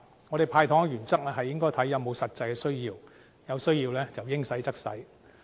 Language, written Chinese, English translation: Cantonese, 我們"派糖"的原則，是視乎是否有實際需要，有需要的時候，應派則派。, The principle of doling out sweeteners is that we will see whether there is any actual need . We will dole out sweeteners only where and when necessary